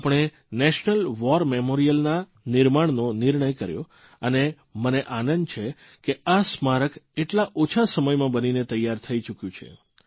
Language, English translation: Gujarati, We decided to erect the National War Memorial and I am contented to see it attaining completion in so little a time